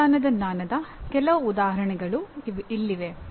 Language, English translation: Kannada, Some examples of Procedural Knowledge